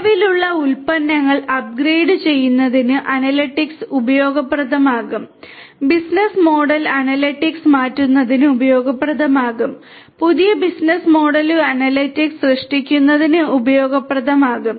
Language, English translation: Malayalam, For upgrading the existing products analytics is going to be useful, for changing the business model analytics would be useful, for creating new business models analytics would be useful